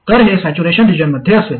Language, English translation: Marathi, So this will be in saturation region